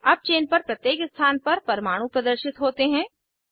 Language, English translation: Hindi, Lets now display atoms at each position on the chain